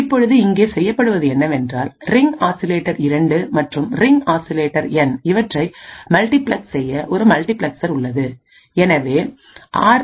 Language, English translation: Tamil, Now what is done over here is that there is a multiplexers to multiplex the ring oscillator 2 and the ring oscillator N therefore what we obtain is RA and RB both are square waveforms